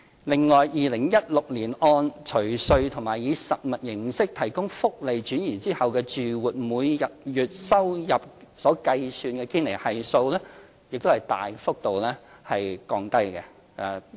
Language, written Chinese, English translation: Cantonese, 另外 ，2016 年按除稅及以實物形式提供福利轉移後住戶每月收入計算的堅尼系數大幅降低。, Furthermore the Gini Coefficient based on monthly household income after tax and transfer of in - kind social benefits reduced significantly in 2016